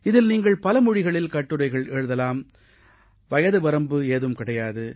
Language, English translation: Tamil, You can write essays in various languages and there is no age limit